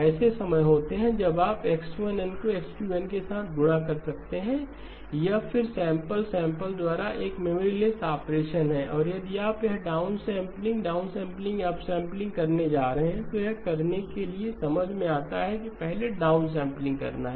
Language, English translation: Hindi, There are times when you may do X1 of N multiplied with X2 of N, this is again a memory less operation sample by sample and if this you are going to do the downsampling here, downsampling or upsampling then it makes sense to do the downsampling first